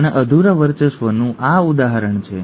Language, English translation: Gujarati, And this is an example of incomplete dominance